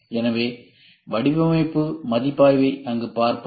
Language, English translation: Tamil, So, we will see design review there